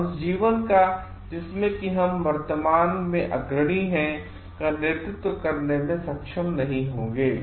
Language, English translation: Hindi, And they will not be able to lead a life, which is of that, that we are leading at present